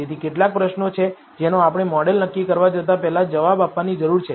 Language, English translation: Gujarati, So, there are a few questions which we need to answer before we go into model assessment